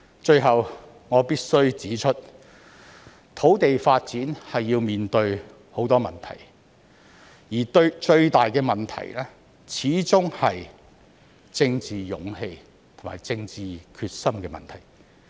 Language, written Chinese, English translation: Cantonese, 最後，我必須指出土地發展要面對很多問題，而最大的始終是政治勇氣和政治決心的問題。, Finally I must point out that many problems will be encountered in land development and the biggest lies in political courage and determination